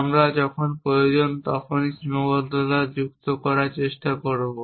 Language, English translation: Bengali, We will try to do add constraints only when necessary